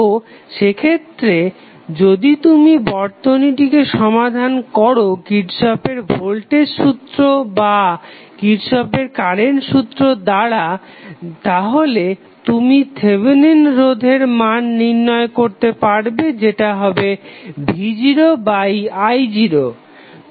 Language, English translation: Bengali, So, in that case if you solve the circuit with the help of either Kirchhoff Voltage Law or Kirchhoff Current Law you will be able to find out the value of Thevenin resistance which would be nothing but v naught divided by I naught